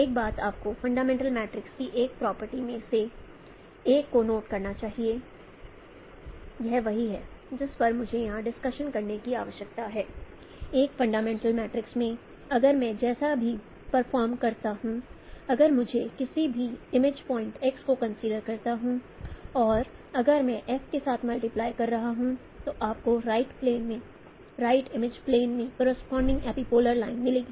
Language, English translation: Hindi, One thing you should note one of the property of the fundamental matrix that is there which you know which I need to discuss here that in a in a fundamental matrix if I perform as I mentioned if I if I convert consider any image point X and if I multiply with F then you get the corresponding epipolar line in the right plane the right image plane and what is an epipolar line